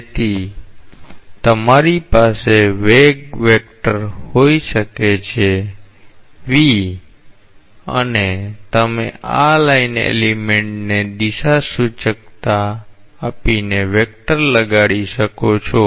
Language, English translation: Gujarati, So, you may have a velocity vector; say v and you may assign a vector to this line element by giving it a directionality